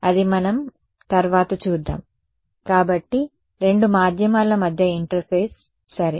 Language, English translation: Telugu, So, that is what we will look at next, so an interface between two mediums ok